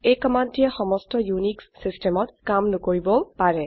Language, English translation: Assamese, This command may not work in all unix systems however